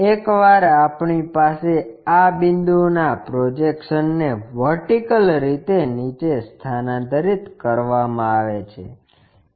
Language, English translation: Gujarati, Once we have that transfer this point projections vertically down